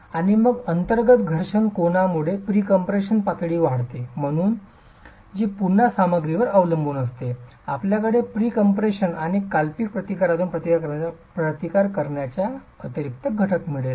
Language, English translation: Marathi, And then as pre compression levels increase because of the internal friction angle which is again material dependent, you will have an additional component of resistance coming from pre compression and friction resistance